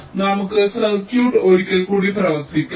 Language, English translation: Malayalam, so lets ah just work out he circuit once more